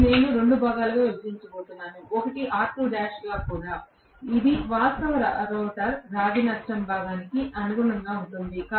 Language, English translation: Telugu, This I am going to bifurcate into 2 portions, one is R2 dash itself which is corresponding to the actual rotor copper loss component